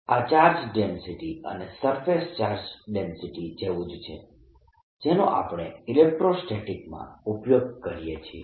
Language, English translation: Gujarati, this is similar to the charge density and surface charge density that we use in electrostatics